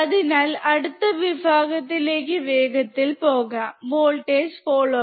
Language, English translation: Malayalam, So, let us quickly move to the next section: Voltage follower